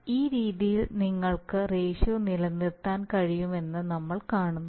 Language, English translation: Malayalam, So you see that in this way you can maintain the ratio